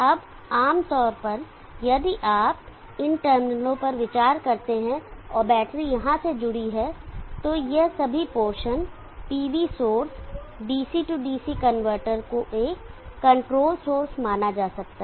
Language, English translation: Hindi, Now normally if you consider this terminals and the battery is connected here, all this portion, PV source, DC DC converter can be considered as a controlled source